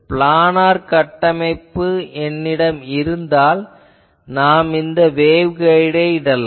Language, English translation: Tamil, If I have a planar structure they are putting you can put waveguides etc